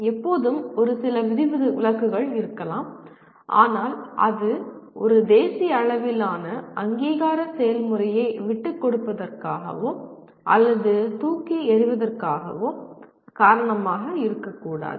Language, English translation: Tamil, There will always be a few exceptions but that should not be the reason for giving away or throwing away a national level accreditation process